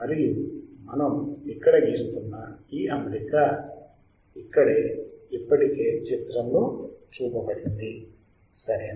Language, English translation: Telugu, And this arrangement whatever we are drawing here it is already shown in the figure here correct